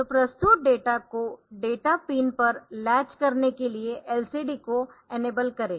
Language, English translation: Hindi, So, enable LCD to latch data presented to data pin